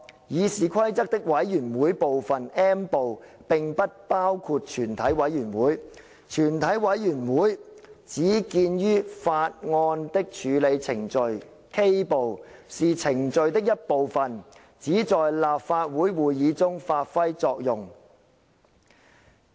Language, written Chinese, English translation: Cantonese, 《議事規則》的'委員會'部分，並不包括全體委員會；全體委員會只見於'法案的處理程序'，是程序的一部分，只在立法會會議中發揮作用......, Rules concerning a Committee of the Whole Council are not listed under Committees Part M of the Rules of Procedure but only under Procedure on bills Part K which defines the procedures applicable only to Council meetings The critical point is that Article 751 of the Basic Law should not be understood in fragments